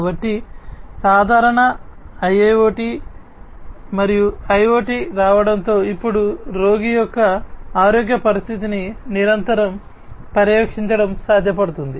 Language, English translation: Telugu, So, with the advent of IIoT and IoT, in general, it is now possible to continuously monitor the health condition of the patient